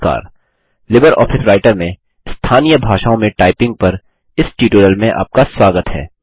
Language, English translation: Hindi, Hello Everybody.Welcome to the tutorial Typing in Local languages in LibreOffice Writer